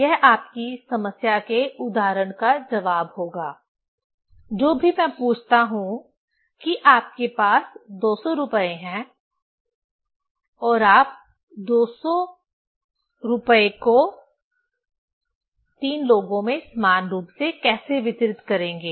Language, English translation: Hindi, This will be the answer of your example of your problem whatever I ask that you have rupees 200 and how you will distribute 200 among 3 people equally